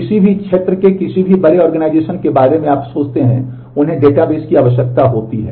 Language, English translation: Hindi, Any big organization in any area you think of, they require databases